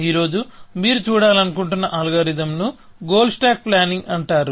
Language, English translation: Telugu, The algorithm that you want to look at today is called goal stack planning